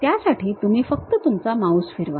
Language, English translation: Marathi, For that you just move rotate your mouse